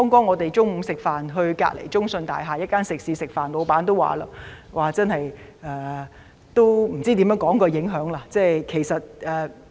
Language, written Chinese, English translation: Cantonese, 我們剛才到隔鄰中信大廈一間食肆午膳，店主說不知如何形容所受到的影響。, Just now we lunched at a restaurant in CITIC Tower nearby . The restaurant owner said he did not know how to describe the impacts he suffered